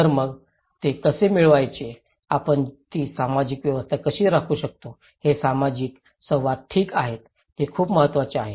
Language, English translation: Marathi, So, then how to achieve that one, that how we can maintain that social order, these social interactions okay, that is very important